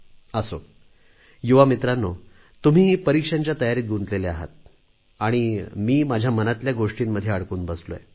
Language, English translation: Marathi, Anyway, young friends, you are engrossed in preparing for your exams and here I am, engaging you in matters close to my heart